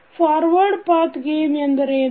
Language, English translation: Kannada, So, what is Forward Path Gain